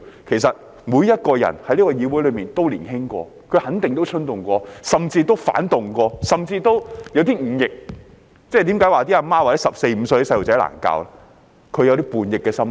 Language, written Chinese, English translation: Cantonese, 其實，這個議會內每個人都年輕過，也肯定衝動過，甚至反動過，甚至有點忤逆，因此當母親的才會說十四五歲的孩子難以教導，因為他們有叛逆的心態。, In fact everyone in the legislature has been young before has definitely acted impulsively and may have even been rebellious and disobedient . That is why mothers often say that children aged 14 to 15 years are difficult to teach for they are rebellious at heart